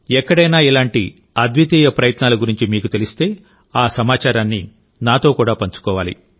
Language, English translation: Telugu, If you are aware of any such unique effort being made somewhere, then you must share that information with me as well